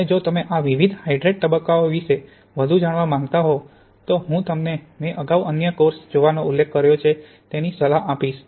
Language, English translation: Gujarati, And if you want to know more about these different hydrate phases then I advise you to look at the other course I mentioned earlier